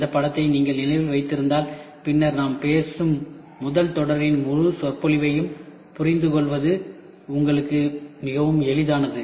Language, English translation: Tamil, This figure is very important if you remember this figure then it is very easy for you to understand the entire lecture of the first series whatever we talk about